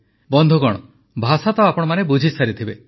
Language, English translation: Odia, you must have understood the language